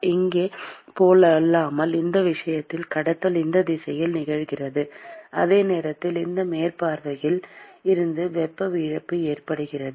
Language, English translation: Tamil, Unlike here, in this case, the conduction is occurring in this direction, while simultaneously there is heat loss from these surface